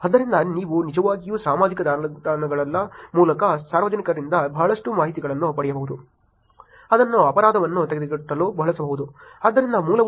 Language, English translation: Kannada, So you can actually get a lot of information from public through the social networks, which can be used to prevent crime